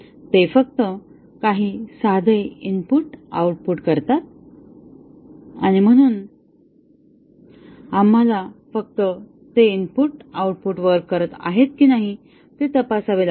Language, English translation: Marathi, They do only some simple input output and therefore, we have to just check whether those input output are working